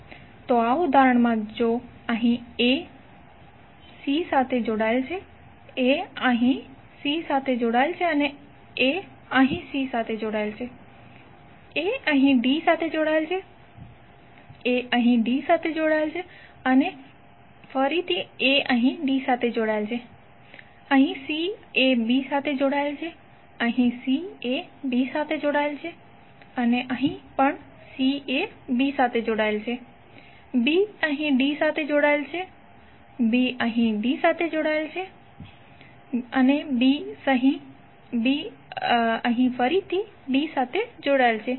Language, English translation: Gujarati, So in this example if a is connected to c here, a is connected to c here and a is connected to c here, a is connected to d, a is connected to d and a is connected to d, c is connected to b, here c is connected to b and here also c is connected to b, b is connected to d here, b is connected to d here and b is connected to d here